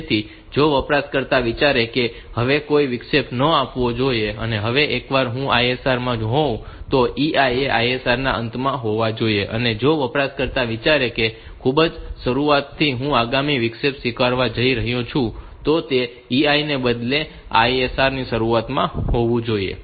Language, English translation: Gujarati, Now, once I am in the ISR then EI should be at the end of the ISR and if the user thinks that after at the for the very beginning I am going to accept next interrupt then that EI should be at the beginning of the instead of the ISR